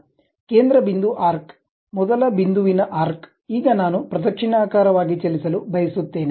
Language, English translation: Kannada, Center point arc, first point arc, now I want to move clockwise direction